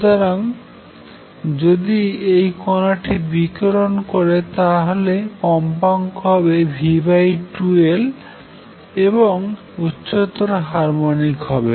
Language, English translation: Bengali, So, if this particle what to radiate it will contain all these frequencies v over 2L and higher harmonics